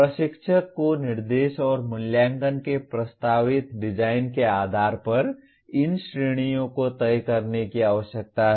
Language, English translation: Hindi, The instructor needs to decide these categories based on the proposed design of instruction and assessment